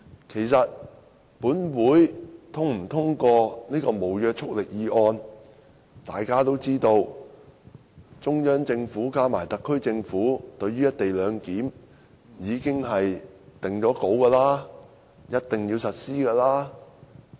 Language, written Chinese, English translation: Cantonese, 其實，無論立法會是否通過這項無約束力議案，大家都知道，中央政府加上特區政府對於"一地兩檢"已經定案，一定要實施。, In fact it does not matter whether the Legislative Council passes this non - binding motion or not the Central Government and the SAR Government have as we all know already made their decision to implement the co - location arrangement in any event